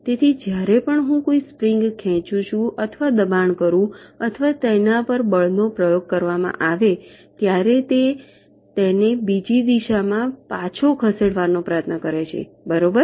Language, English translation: Gujarati, so so whenever i pull or push a spring, or force is exerted which tends to move it back in the other direction, right